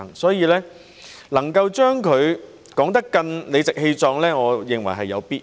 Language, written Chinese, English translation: Cantonese, 所以，能夠把這目標說得更理直氣壯，我認為是有必要的。, Therefore I think it is essential to spell out this objective more righteously